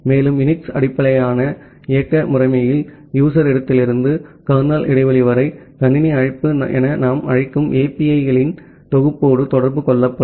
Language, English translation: Tamil, And, in a UNIX based operating system from the user space to kernel space that interaction will be done with the set of APIs which we call as the system call